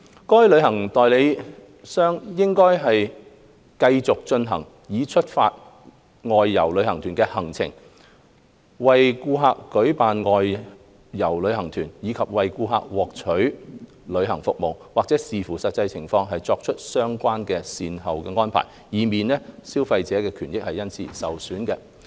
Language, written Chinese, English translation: Cantonese, 該旅行代理商理應繼續進行已出發的外遊旅行團的行程、為顧客舉辦外遊旅行團，以及為顧客獲取旅行服務，或視乎實際情況而作出相關的善後安排，以免消費者的權益受損。, The travel agent should continue the arrangement of ongoing outbound tours arrange outbound tours for customers obtain travel services for customers or follow up as appropriate to avoid prejudicing consumer interests